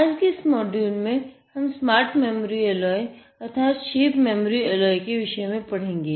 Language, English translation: Hindi, Today in this module, we will study something about smart memory alloy, a shape memory alloy